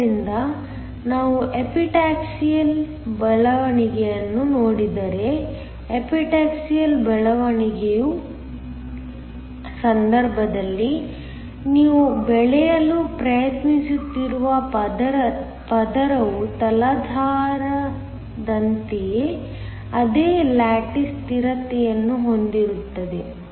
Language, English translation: Kannada, So, if we look at Epitaxial growth, in the case of Epitaxial growth the layer you are trying to grow has the same lattice constant as that of the substrate